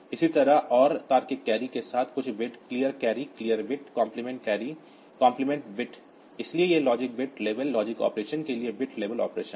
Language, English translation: Hindi, Similarly, all logical carry with some bit, clear carry, clear bit, compliment carry, compliment bit, so these are bit level operations for logic bit level logic operations you can say